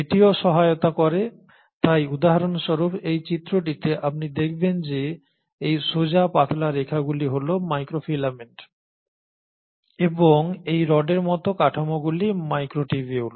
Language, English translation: Bengali, So it also helps so in this diagram for example you will find that these straight thin lines are the microfilaments while these rod like structures are the microtubules